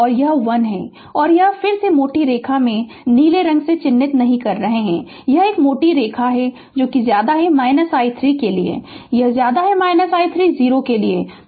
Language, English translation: Hindi, And this is 1 and this is the thick line again I am not marking by blue color this is a thick line for less than minus t 0 this less than minus t 0 is 0